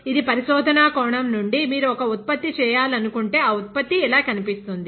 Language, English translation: Telugu, This is from research point of view; if you want to make a product, a product will look like this